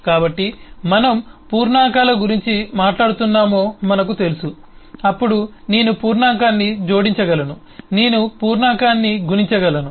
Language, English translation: Telugu, so we know, if we are talking about integers then I can add the integer, I can multiply an integer and so on